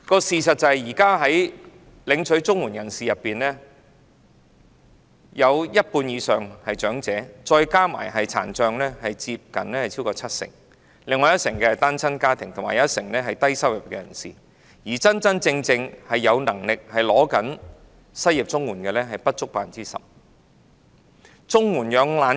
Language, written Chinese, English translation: Cantonese, 事實上，在現時領取綜援的人士當中，一半以上是長者，再加上殘障人士，佔總數超過七成；另外一成是單親家庭，一成是低收入人士，而真真正正有能力但領取失業綜援的人士僅佔不足 10%。, As a matter of fact among those CSSA recipients at present more than half of them are elderly people and when added to this people with disabilities they account for more than 70 % of the total . Another 10 % of the recipients are single - parent families 10 % are low - income persons whilst less than 10 % are indeed those with working ability but receiving CSSA due to unemployment